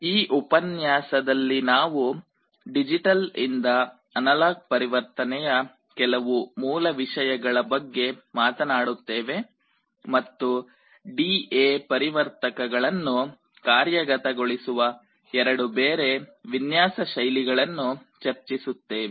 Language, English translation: Kannada, In this lecture we shall be talking about some of the basics of digital to analog conversion and we shall be discussing two different alternate design styles to implement such D/A converters